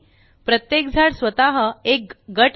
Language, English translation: Marathi, Each tree is also a group by itself